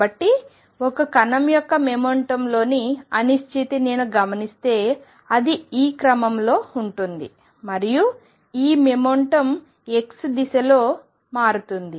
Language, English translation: Telugu, So, the uncertainty in the momentum of a particle if I observe it is going to be of this order and this momentum changes in the direction x